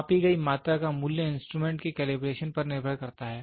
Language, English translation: Hindi, The value of the measured quantity depends on the calibration of the instrument